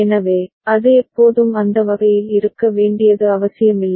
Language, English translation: Tamil, So, it is not necessary that it is always need to be in that manner